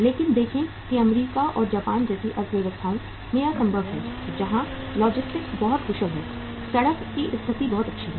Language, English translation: Hindi, But see that is possible in the economies like US and Japan where the logistics are very very efficient, road condition is very very good